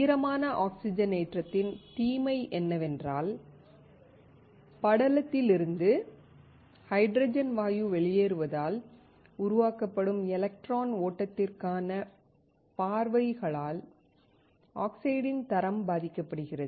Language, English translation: Tamil, The disadvantage of wet oxidation is that the quality of the oxide suffers due to diffusion of the hydrogen gas out of the film which creates paths for electron flow